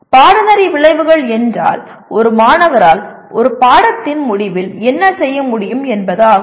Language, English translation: Tamil, Course outcomes are what the student should be able to do at the end of a course